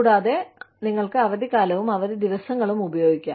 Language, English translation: Malayalam, And, you could use, vacation and leave days